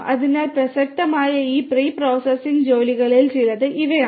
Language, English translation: Malayalam, So, these are some of these pre processing tasks that are relevant